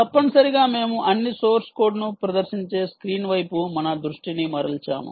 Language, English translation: Telugu, ah, essentially, we will turn our attention to the screen um, which is essentially displaying all the source code